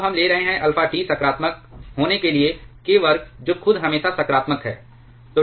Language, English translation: Hindi, Now we are taking alpha T to be positive k square itself is always positive